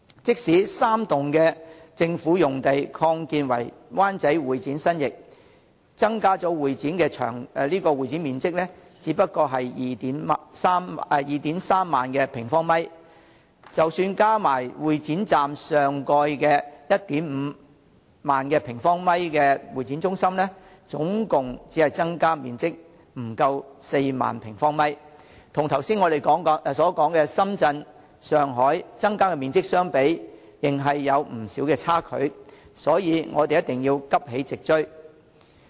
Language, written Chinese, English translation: Cantonese, 即使3座政府大樓用地擴建為灣仔會展新翼，增加的會展面積也只不過是 23,000 平方米，加上會展站上蓋 15,000 平方米的會議中心，共增加面積不足4萬平方米，與我剛才所說的深圳、上海增加的面積相比，仍有不少差距，所以我們一定要急起直追。, Even if the three government buildings are redeveloped into an extended new wing of convention and exhibition facilities in Wan Chai the additional convention and exhibition space will only be 23 000 sq m This coupled with a convention centre of 15 000 sq m above the Exhibition Station will give rise to a total additional space of less than 40 000 sq m Compared with the additional space in Shenzhen and Shanghai I mentioned just now a considerable gap still exists so we must do our utmost to catch up with them